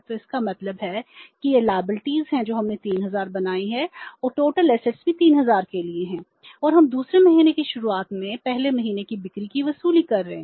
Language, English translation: Hindi, So it means this is the liabilities we have created, 3,000 and total assets are also for 3,000 and we are recovering first month sales at the beginning of the second month